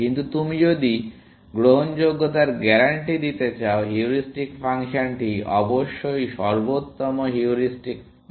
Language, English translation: Bengali, But if you want to guarantee admissibility, the heuristic function must be less than the optimal heuristic value, essentially